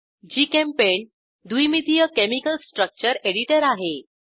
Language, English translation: Marathi, GChemPaint is a two dimensional chemical structure editor